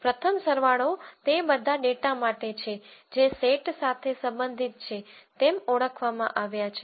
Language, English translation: Gujarati, The first summation is for all the data that has been identified to belong to a set